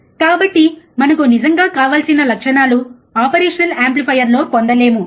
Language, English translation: Telugu, So, we cannot have the characteristics that we really want in an operational amplifier